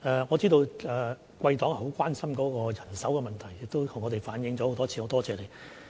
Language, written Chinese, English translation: Cantonese, 我知道貴黨很擔心人手的問題，亦曾多次向我們反映，多謝你。, I know that your political party is very concerned about the manpower problem and it has reflected this to us on many occasions . Thank you